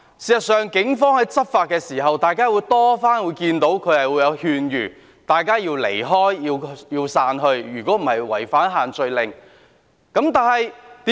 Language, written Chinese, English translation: Cantonese, 事實上，大家經常可以看到，警方在執法時，有勸諭市民離開和散去，否則會違反限聚令。, As a matter of fact we often see that during law enforcement the Police did advise people to leave and disperse otherwise they would violate the social gathering restrictions